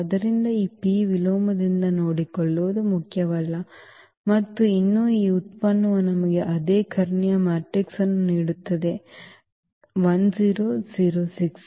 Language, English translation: Kannada, So, does not matter that will be taken care by this P inverse and still this product will give us the same diagonal matrix 1 0 0 6